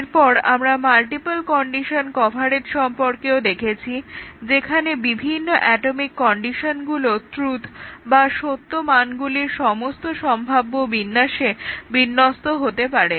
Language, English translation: Bengali, And then, we had also seen the multiple condition coverage, where the different atomic conditions should assume all possible combinations of truth values